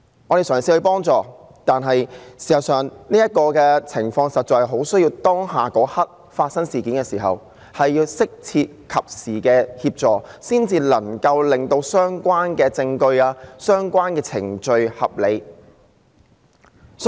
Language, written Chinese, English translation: Cantonese, 我們嘗試幫助她，但事實上，這種情況很需要在事件發生的當刻，獲得適切和及時的協助，才能令相關的證據和程序處理得當。, We tried to help her but in fact it was essential under such circumstances to obtain appropriate and timely assistance at the moment of the incident in order to properly handle the relevant evidence and procedures